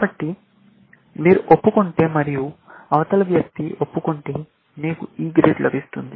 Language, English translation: Telugu, So, if you confess and if the other person confesses, let us say, you get a E grade